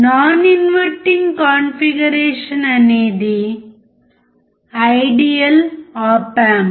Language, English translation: Telugu, Non inverting configuration is the ideal op amp